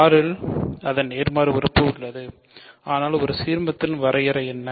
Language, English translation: Tamil, So, we have its inverse in R, but what is the definition of an ideal